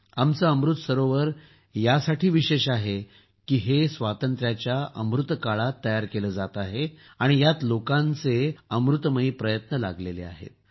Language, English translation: Marathi, Our Amrit Sarovarsare special because, they are being built in the Azadi Ka Amrit Kal and the essence of the effort of the people has been put in them